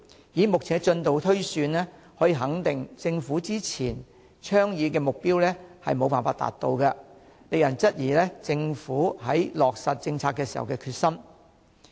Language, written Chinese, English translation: Cantonese, 以目前的進度推算，可以肯定政府之前倡議的目標將無法達到，令人質疑政府在落實政策時的決心。, Given the current progress we can tell that it is impossible to achieve the goals set by the Government . The Governments determination in implementing these policies is thus called into question